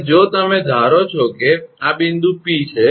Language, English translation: Gujarati, And, if you assume let this is the point P